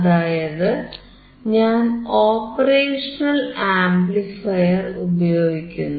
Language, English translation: Malayalam, Here we are using operational amplifier